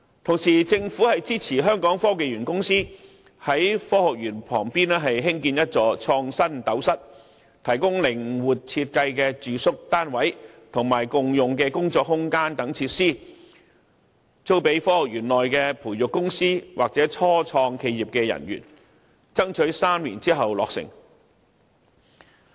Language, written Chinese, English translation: Cantonese, 同時，政府支持香港科技園公司在科學園旁邊興建一座創新斗室，提供靈活設計的住宿單位及共用的工作空間等設施，租給科學園內的培育公司或初創企業的人員，爭取在3年後落成。, In the meantime the Government supports the construction by the Hong Kong Science and Technology Parks Corporation of an InnoCell adjacent to the Science Park . InnoCell will provide residential units with flexible design and ancillary facilities such as shared working spaces for leasing to staff of the incubatees and start - ups in the Science Park and it is hoped that the construction will be completed in three years